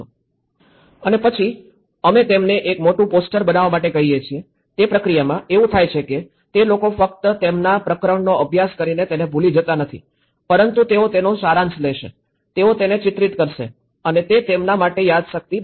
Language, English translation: Gujarati, And then we ask them a big poster, in that process, what happens is the people who do not just study their chapter and forget it, they will summarize it, they will portray it and it becomes a memory for them